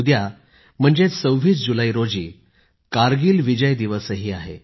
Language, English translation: Marathi, Tomorrow, that is the 26th of July is Kargil Vijay Diwas as well